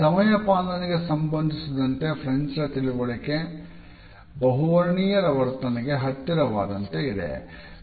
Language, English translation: Kannada, The understanding of the French, as far as the punctuality is concerned, is also closer to a polychronic attitude